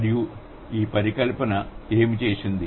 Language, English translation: Telugu, And this hypothesis, what has it done